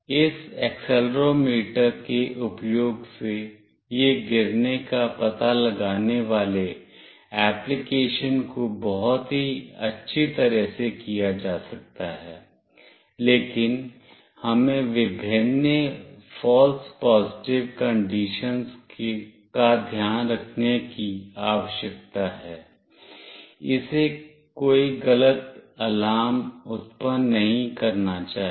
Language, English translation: Hindi, This fault detection application can be very nicely done using this accelerometer, but we need to keep various false positive conditions, it should not generate some false alarm